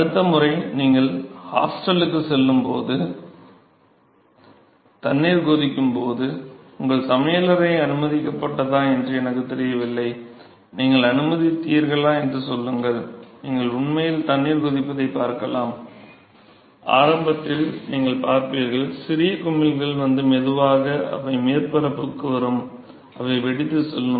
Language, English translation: Tamil, So, next time when you go your hostel and when there is water boiling and I do not know if your permitted kitchen and let us say if your permitted, you can actually see the boiling of water, you will see that initially you will see the small bubbles which will come and slow they will come to the surface they will burst and they will go